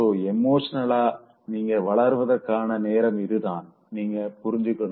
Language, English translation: Tamil, So then you should realize that it's high time that you grow up emotionally